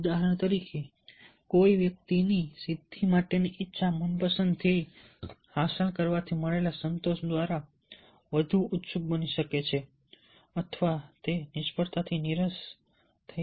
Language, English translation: Gujarati, for example, a persons desire for accomplishment may be made keener, may be made keener by the satisfaction gained from achieving a preferred goal, or it may be dulled by failure